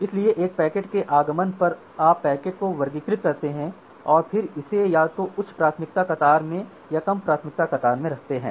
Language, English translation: Hindi, So, on arrival of a packet you classify the packet and then put it either in the high priority queue or in the low priority queue